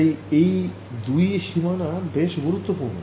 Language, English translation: Bengali, So, these two boundaries are not important